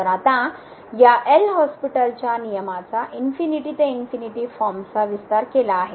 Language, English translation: Marathi, So, now the extension of this L’Hospital’s rule to the infinity by infinity form